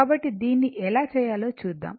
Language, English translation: Telugu, So, let us see how we can make it